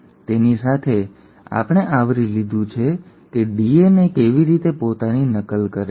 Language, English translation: Gujarati, So with that we have covered how DNA replicates itself